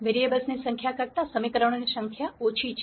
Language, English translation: Gujarati, The number of equations are less than the number of variables